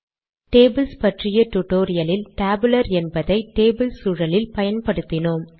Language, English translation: Tamil, In the spoken tutorial on tables, we put the tabular inside the table environment